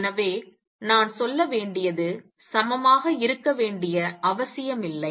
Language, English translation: Tamil, So, what I should say is not necessarily equal to